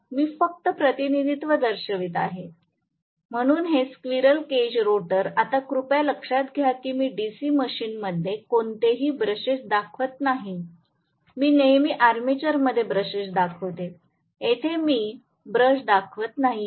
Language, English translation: Marathi, So, representation, I am just showing the representation, so this squirrel cage rotor, now please note I will not show any brushes in DC machine I will always show brushes in the armature, here I should not show a brush